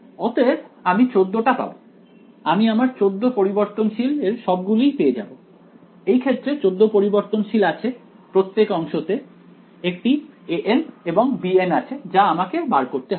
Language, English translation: Bengali, So, I will get 14; I will get all my 14 variables, there are 14 variables in this case right each segment has a a n and a b n that I need to find out right